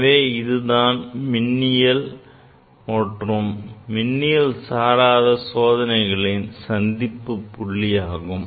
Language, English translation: Tamil, This is the junction between the electrical and non electrical experiments